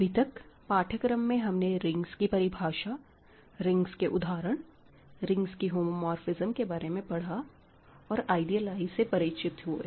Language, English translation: Hindi, So, far in the course, we have studied rings, definition of rings, examples of rings, homomorphism of a rings and then I introduce ideals